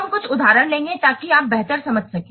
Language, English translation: Hindi, We will take a few examples so that you can better understand